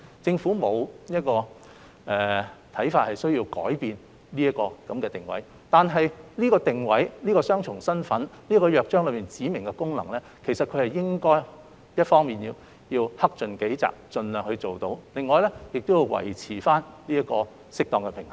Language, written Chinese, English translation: Cantonese, 政府認為並無需要改變這個定位，但就着這個定位、雙重身份及《約章》所訂的指明功能，港台一方面應克盡己責，盡量履行，另一方面則須維持適當的平衡。, The Government does not consider it necessary to make changes to the positioning but in respect of its positioning dual status and specified functions under the Charter RTHK should make its best endeavours to discharge its duties on the one hand and strive to maintain an appropriate balance on the other